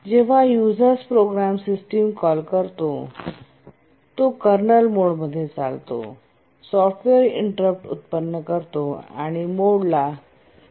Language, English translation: Marathi, When a user program makes a system call, it runs in kernel mode, generates a software interrupt, changes the mode to kernel mode